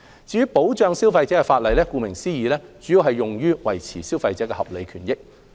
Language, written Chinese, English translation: Cantonese, 至於保障消費者的法例，顧名思義，其主要目的是維護消費者的合理權益。, Regarding consumer protection legislation its main purpose is to protect the legitimate interest of consumers as its name suggests